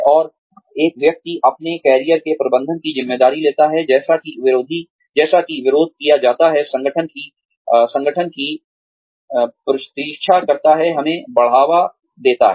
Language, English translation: Hindi, And, one takes on the responsibility, for managing one's own career, as opposed to, waiting for the organization, to promote us